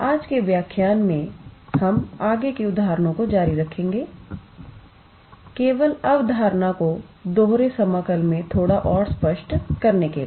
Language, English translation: Hindi, In today’s lecture, we will continue with further examples actually just to make the concept a little bit more clear in double integral